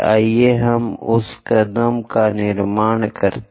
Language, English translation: Hindi, Let us construct that step by step